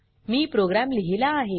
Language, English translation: Marathi, I have a written program